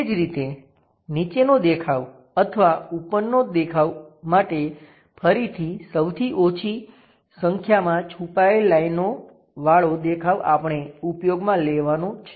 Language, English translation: Gujarati, Similarly, whether to use bottom view or top view again fewest number of hidden lines we have to use